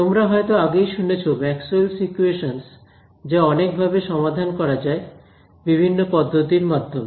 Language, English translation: Bengali, So, there are several ways of solving Maxwell’s equations that you would have heard of various different methods